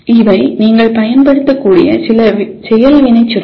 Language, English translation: Tamil, These are some of the action verbs that you can use